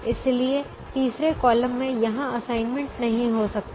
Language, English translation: Hindi, the third column also has an assignment